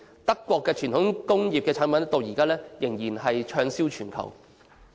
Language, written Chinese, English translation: Cantonese, 德國的傳統輕工業產品至今仍然是暢銷全球。, The traditional light industrial products in Germany are still selling well all over the world